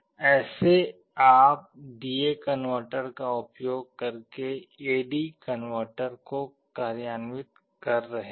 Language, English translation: Hindi, This is how you are implementing an A/D converter using a D/A converter